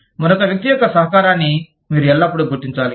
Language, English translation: Telugu, You must always acknowledge, the contribution of another person